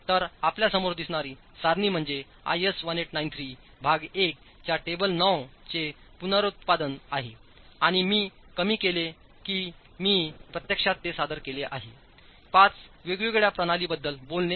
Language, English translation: Marathi, So, the table that you see in front of you is a reproduction of table 9 of IS 1893 Part 1, and it is in a reduced form that I have actually presented it, talking of five different systems